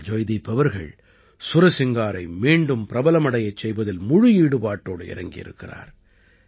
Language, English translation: Tamil, But, Joydeep is persevering towards making the Sursingar popular once again